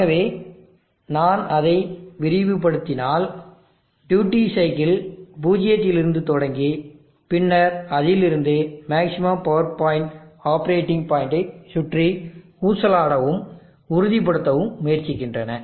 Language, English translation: Tamil, So if I expand that, so observe that the duty cycles starts from zero and then picks up and tries to oscillate and stabilize around the maximum power point operating point